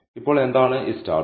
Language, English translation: Malayalam, So, what are these stars